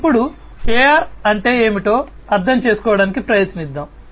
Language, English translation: Telugu, So, let us now try to understand what is AR